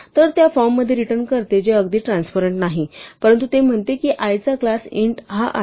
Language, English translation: Marathi, So, it returns it in the form which is not exactly transparent, but it says that i is of class int